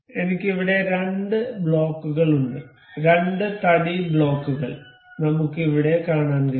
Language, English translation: Malayalam, I have two blocks here, two wooden blocks we can see here